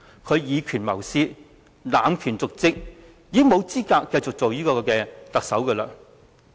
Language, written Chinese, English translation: Cantonese, 他以權謀私和濫權瀆職，已經沒有資格繼續擔任特首。, Given that he has abused power for personal gains and is in dereliction of duty he is no longer qualified to be the Chief Executive